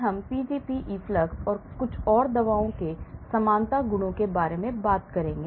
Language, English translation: Hindi, Today, we will talk about the Pgp efflux and few more drug likeness properties